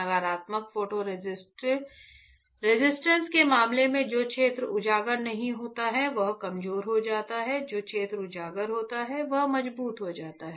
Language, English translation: Hindi, So, in case of positive photo resist the area which is unexposed gets stronger, the area which is exposed becomes weaker